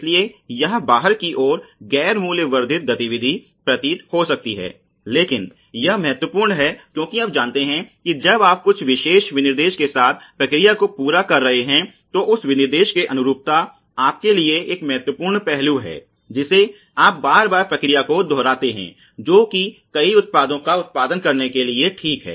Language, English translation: Hindi, So, this may at the outside seem to be non value added activity, but it is important because you know when you are laying out process with certain specification the conformance to that specification is absolutely important aspect for you know repeating the process again and again to produce many products ok